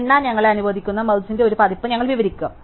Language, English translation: Malayalam, So, we will describe a version of merging which allows us to count